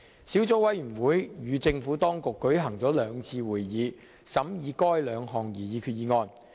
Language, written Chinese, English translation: Cantonese, 小組委員會與政府當局舉行了兩次會議，審議該兩項擬議決議案。, The Subcommittee held two meetings with the Administration and deliberated on the two proposed resolutions